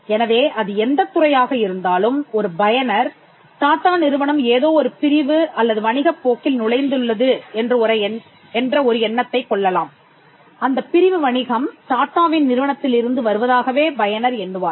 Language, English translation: Tamil, So, regardless of which feel they are, a user may get an impression that this company TATA has now entered a segment or a course of business which they would relate to coming from the house of TATA’s